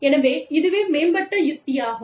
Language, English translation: Tamil, So, that is innovation strategy